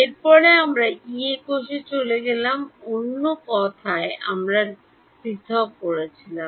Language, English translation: Bengali, Next we went to Yee cell right in other words we discretized right